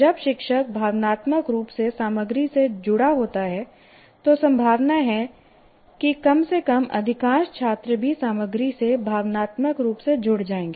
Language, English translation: Hindi, When the teacher is connected emotionally to the content, there is possibility, at least majority of the students also will get emotionally get connected to the content